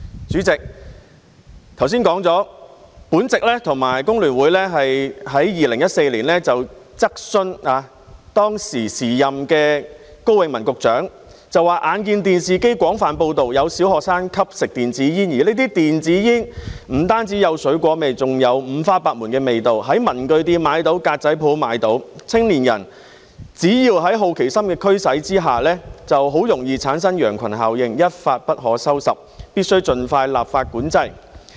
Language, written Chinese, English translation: Cantonese, 主席，我剛才提到，我和工聯會曾在2014年質詢當時的高永文局長，指出我們眼見電視廣泛報道有小學生吸食電子煙，而這些電子煙不單有水果味道，更有五花八門的味道，在文具店和格仔鋪也可以買到，青年人只要在好奇心的驅使下，很容易便會產生羊群效應，一發不可收拾，必須盡快立法管制。, President as I mentioned just now in 2014 the Hong Kong Federation of Trade Unions and I put a question to the then Secretary Dr KO Wing - man pointing out that we had seen on television wide coverage of primary school students smoking e - cigarettes . These e - cigarettes not only had a fruity flavour but also offered a variety of flavours . They were available in stationery shops and consignment stores